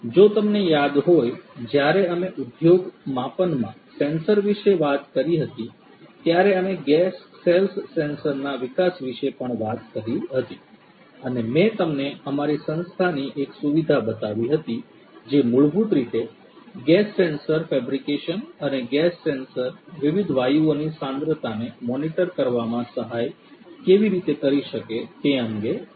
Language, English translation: Gujarati, If you recall, when we talked about sensors in the industry scale, we also talked about the development of a gas cells sensor and I had shown you one of the facilities in our institute which basically deals with the gas sensor fabrication and how gas sensors can help in monitoring the concentration of different gases right